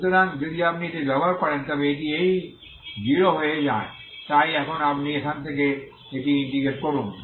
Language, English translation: Bengali, So if you use this this is what it becomes this is 0 so now you integrate this from now